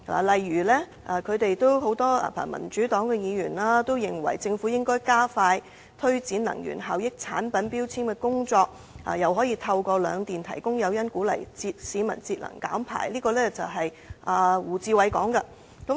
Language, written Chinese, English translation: Cantonese, 例如民主黨議員認為政府應加快推展能源效益產品標籤的工作，透過兩電提供誘因鼓勵市民節能減排，這是胡志偉議員的意見。, For instance Members from the Democratic Party considered that the mandatory energy efficiency labelling work should be taken forward expeditiously and members of the public be encouraged to conserve energy and reduce emissions . These were the views expressed by Mr WU Chi - wai